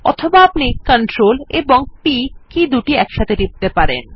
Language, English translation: Bengali, Alternately, we can press CTRL and P keys together